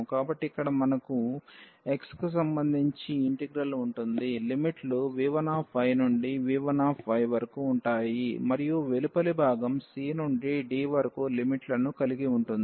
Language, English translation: Telugu, So, here we will have this integral the inner one with respect to x, the limits will be v 1 y to v 2 y and the outer 1 will have the limits from c to d